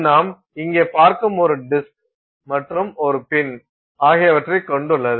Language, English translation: Tamil, It consists of a disk which you see here and a pin